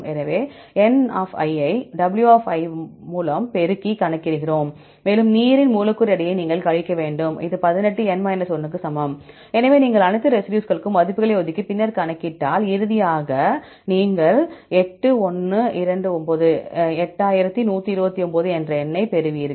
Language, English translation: Tamil, So, we calculate the n multiplied by w right, and you have to subtract the molecular weight of the water right, this is equal to 18; so if you assign the values for all the residues and then calculate, and finally you get the number 8129